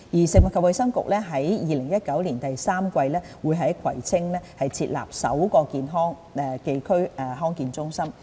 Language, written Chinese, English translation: Cantonese, 食物及衞生局將於2019年第三季在葵青區設立首個康健中心。, The Food and Health Bureau will set up the first DHC in Kwai Tsing District in the third quarter of 2019